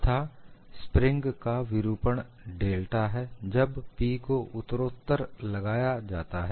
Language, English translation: Hindi, The deflection of the spring is delta when P is supplied gradually